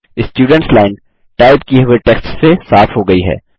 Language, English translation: Hindi, The Students line is cleared of the typed text